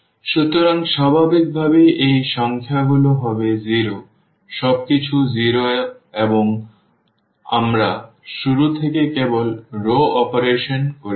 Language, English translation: Bengali, So, naturally these numbers will be 0 everything is 0 and we are doing only the row operations from the beginning